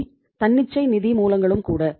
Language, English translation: Tamil, They are also the spontaneous sources of finance